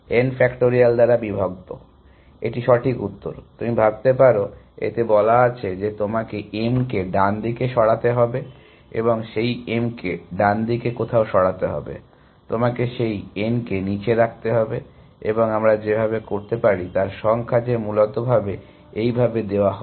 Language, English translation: Bengali, Divided by n factorial, that is a correct answer, you can think of it has saying that you have to make m right moves and somewhere along those m right moves, you have to put those n down moves and the number of ways we can do that is given by this essentially